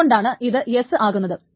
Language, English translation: Malayalam, Then this is S